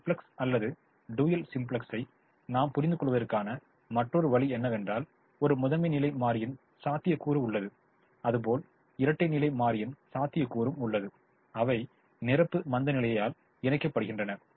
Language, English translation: Tamil, another way i have understanding either simplex or the dual: simplex is: we have a primal feasibility, we have a dual feasibility, which are linked by complementary slackness